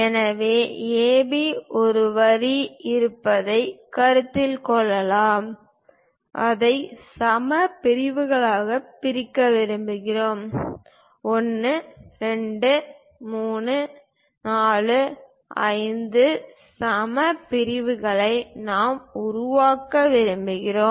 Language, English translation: Tamil, So, let us consider there is a line AB, and we would like to divide that into equal segments; perhaps 1, 2, 3, 4, 5 equal segments we would like to construct